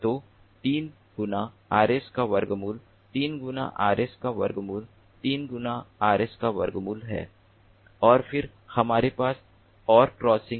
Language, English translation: Hindi, this is square root of three times rs and this is square root of three times rs